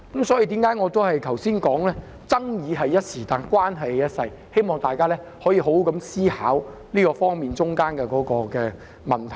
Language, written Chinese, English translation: Cantonese, 這就是我剛才說爭議只是一時，但關係是一輩子的原因，希望大家可以好好思考當中這方面的問題。, This is why I said just now that the controversy is transient but relationships are lifelong . I hope Members can think about the issues in this regard properly